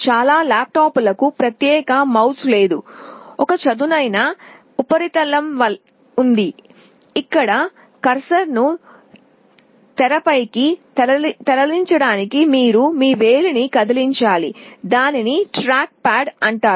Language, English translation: Telugu, Many of the laptops have no separate mouse; there is a flat surface, where you have to move your finger to move the cursor on the screen; that is called a trackpad